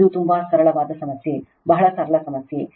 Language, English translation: Kannada, It is a very very simple problem very simple problem right